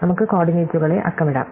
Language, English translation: Malayalam, So, we can number the coordinates